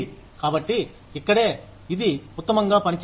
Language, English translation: Telugu, So, that is where, this works best